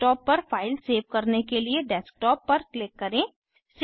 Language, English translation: Hindi, Select Desktop to save the file on Desktop